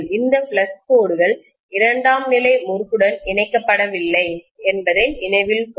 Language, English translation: Tamil, Please note that these flux lines are not linking with the secondary winding at all